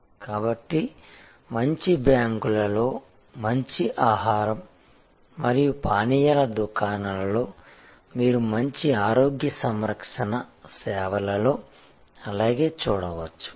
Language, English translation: Telugu, So, you see that in good banks, you see that in good food and beverage outlets, you see that in good health care services and so on